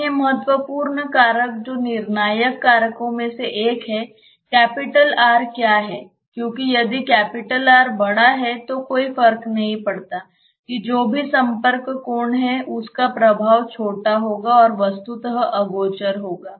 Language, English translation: Hindi, The other important factor which is one of the decisive factors is, what is capital R because if capital R is large then no matter whatever is the contact angle this effect will be small and will virtually be unperceptible